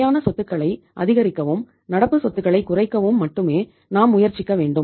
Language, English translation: Tamil, Only we should try to maximize the fixed assets and minimize the current assets right